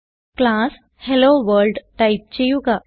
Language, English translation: Malayalam, So type class HelloWorld